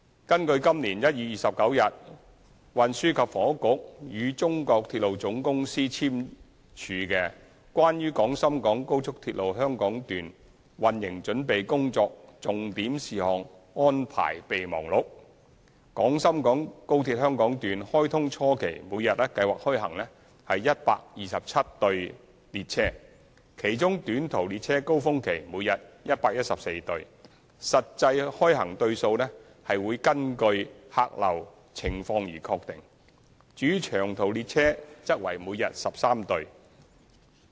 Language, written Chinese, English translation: Cantonese, 根據今年1月29日運輸及房屋局與中國鐵路總公司簽署的《關於廣深港高速鐵路香港段運營準備工作重點事項安排備忘錄》，廣深港高鐵香港段開通初期每日計劃開行127對列車，其中短途列車高峰期每天114對，實際開行對數根據客流情況確定；至於長途列車則為每日13對。, According to the Memorandum of Understanding on the Arrangements for Preparation of Key Operational Issues for the Hong Kong Section of XRL signed between the Transport and Housing Bureau and the China Railway Corporation CR on 29 January 2018 the plan will be to operate 127 train pairs daily at the early stage of commissioning comprising 114 pairs of short haul trains daily during peak periods . The actual number of train pairs will depend on the passenger volume; and 13 pairs of long haul trains daily